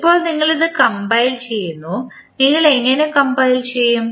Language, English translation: Malayalam, Now, you compile this, how you will compile